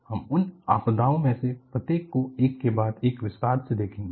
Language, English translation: Hindi, In fact, you would see each one of these disasters, one after another in elaboration